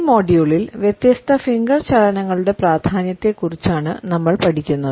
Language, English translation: Malayalam, In this module, we would look at the significance of different Finger Movements